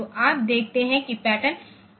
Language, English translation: Hindi, So, you see that pattern is 90H